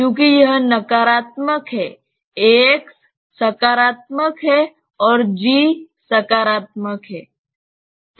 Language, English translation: Hindi, Because this is negative a x is positive and g is positive